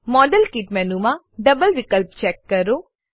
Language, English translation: Gujarati, Check the double option in the modelkit menu